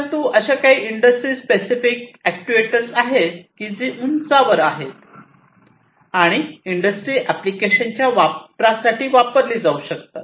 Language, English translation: Marathi, But there are some industry specific actuators that are at the higher end and could be used to serve industry applications